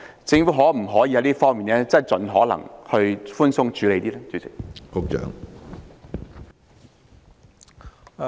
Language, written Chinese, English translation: Cantonese, 政府可否盡可能在這方面寬鬆處理？, Can the Government adopt a lenient approach as far as possible in this regard?